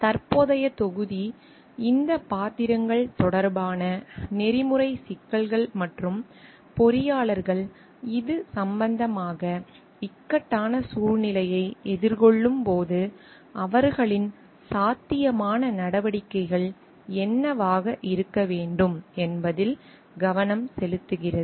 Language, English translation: Tamil, The present module focuses on the ethical issues with respect to these roles and what the engineers possible course of actions should be when they are facing dilemma in these regard